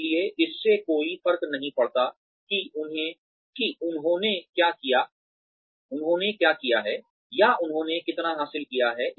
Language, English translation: Hindi, So, it does not matter, what they have done, or, how much they have achieved